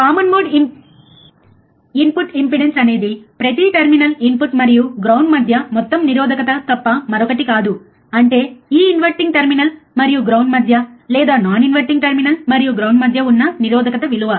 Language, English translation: Telugu, Common mode input impedance is nothing but total resistance between each input and ground; that means, the resistance between this and ground or between non inverting terminal and ground the resistance between it